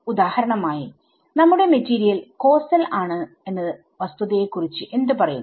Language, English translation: Malayalam, So, for example, what about the fact that our material is causal